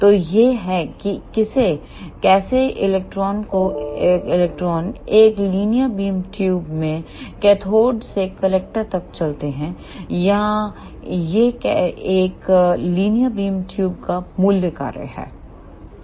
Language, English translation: Hindi, So, this is how the electrons move from cathode to collector in a linear beam tube or this is the basic working of a linear bean tube